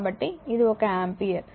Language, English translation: Telugu, So, this is one ampere